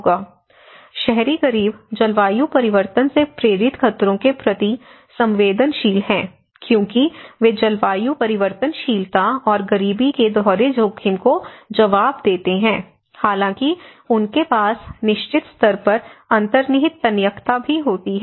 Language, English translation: Hindi, (FL from 31:28 to 34:00), the urban poor are vulnerable to hazards induced by climate change as they respond to double exposure to climate variability and poverty; however, they also have certain level of built in resilience